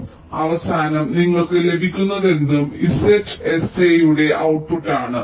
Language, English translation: Malayalam, so at the end, whatever you get, that is the output of z, s, a